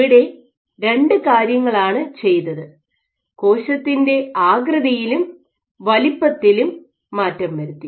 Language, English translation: Malayalam, So, there are two things that they varied the cell shape and cell size